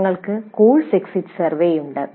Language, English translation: Malayalam, We have course exit survey